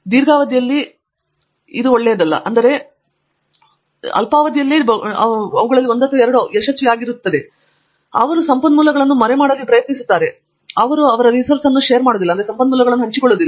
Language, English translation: Kannada, I think in the long run thatÕs not a great idea, maybe in the short run you do see 1 or 2 of them being successful, they try to hide the resources, they do not share the resources and so on